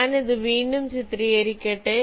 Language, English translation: Malayalam, ok, let me again illustrate this